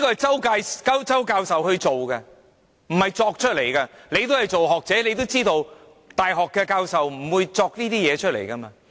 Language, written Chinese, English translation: Cantonese, 這是周教授的研究，不是胡謅出來，局長也是學者，也知道大學教授不會胡謅這些事情。, This is based on Prof CHOWs research not something we make up . The Secretary is also a scholar . He should know that a university professor will not make things up